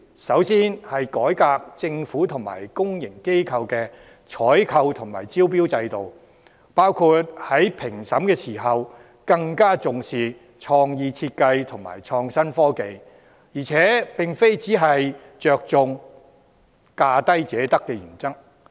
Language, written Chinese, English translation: Cantonese, 首先，改革政府及公營機構的採購及招標制度，包括在評審時更重視創意設計和創新技術、並非只着重價低者得原則。, My first proposal is to reform the procurement and tendering systems of the Government and public organizations including attaching more importance to creative designs and innovative technology in evaluation rather than only putting emphasis on the lowest bid wins principle